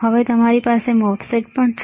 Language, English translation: Gujarati, Now and you have a MOSFET